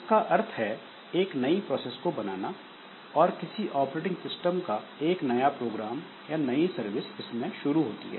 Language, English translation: Hindi, So process creation means a new process is created and may be a new program or new service of the operating system starts in that